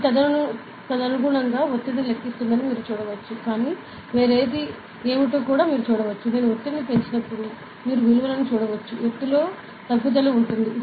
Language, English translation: Telugu, So, you can see that it is calculating the pressure accordingly; but you can see what is something else, that when I increase the pressure ok, you can see the values that, the altitude has what decreased